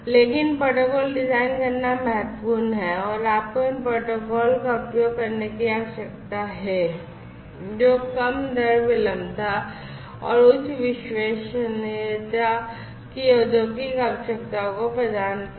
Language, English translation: Hindi, But, what is important is irrespective of the architecture, you need to design protocols, you need to use the protocols, which will cater to the industrial requirements of low rate latency, low jitter, and high reliability